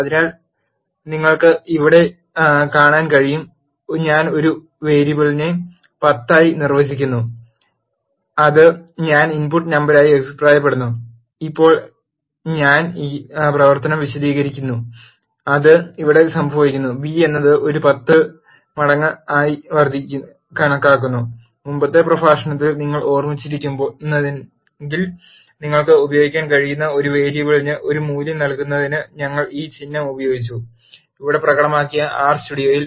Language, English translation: Malayalam, So, you can see here I am defining a variable a is equal to 10 which I am commenting it out as the input number and now I am explaining this operation which is being happened here which is b is calculated as 10 times a and if you would have remembered in the previous lecture we have used this symbol for assigning a value to a variable you can also use equal to in R studio that is been demonstrated here